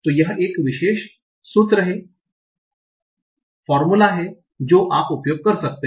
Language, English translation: Hindi, And that is the formula that we have written here